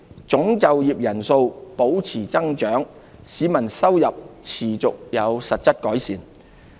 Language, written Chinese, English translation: Cantonese, 總就業人數保持增長，市民收入持續有實質改善。, Total employment sustained growth and salaries increased continuously in real terms